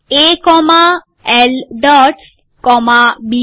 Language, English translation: Gujarati, A comma L dots comma B